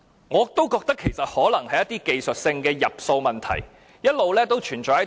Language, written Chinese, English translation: Cantonese, 我覺得一些技術性的入數問題可能一直存在。, I hold that some technical accounting issues might have always existed